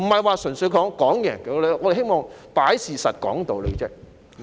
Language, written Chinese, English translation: Cantonese, 不是要分勝負，我們只是希望擺事實、講道理。, We do not mean to find out who the winner or loser is . All that we hope is to elucidate our arguments based on facts